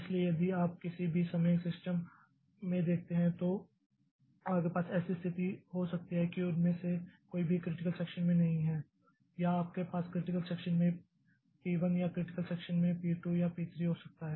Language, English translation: Hindi, So, if you look into the system at any point of time you can have a situation that none of them are critical in critical section, none in the critical section or you can have P1 in critical section or P2 in critical section